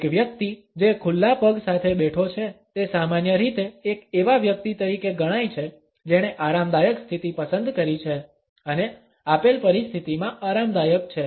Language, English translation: Gujarati, A person who is sitting with open legs normally comes across as a person who is opted for a relaxed position and is comfortable in a given situation